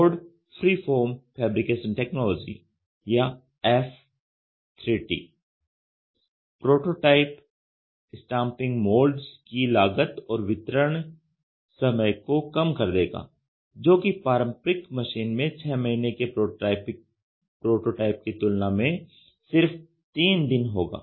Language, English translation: Hindi, Ford freeform fabrication technology or F 3 T will lower cost and speed the delivery time for prototype stamping moulds, where in 3 business days versus just against 6 months of prototyping may be used in the conventional machine